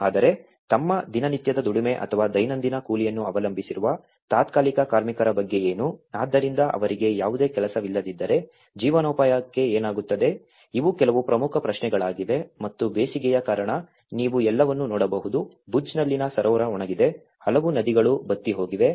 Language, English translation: Kannada, But what about the temporary workers, who are depending on their daily labor or daily wages, so for them if there is no work what happens to the livelihood, these are some of the important questions and due to the hot summers you can see the whole lake in Bhuj has been dried, many rivers have been dried out